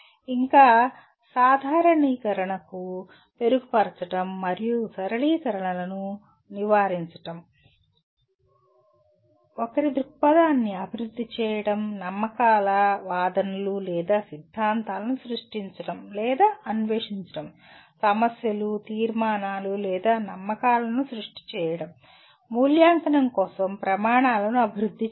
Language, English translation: Telugu, Further, refining generalizations and avoiding over simplifications; developing one’s perspective, creating or exploring beliefs arguments or theories; clarifying issues, conclusions or beliefs; developing criteria for evaluation